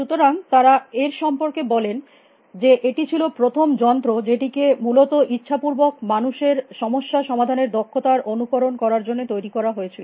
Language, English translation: Bengali, So, this say about this, it was a first program deliberately engineer to mimic the problem solving the skills of a human being essentially